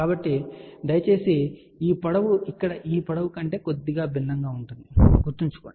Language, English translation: Telugu, So, please remember this length will be slightly different than this length here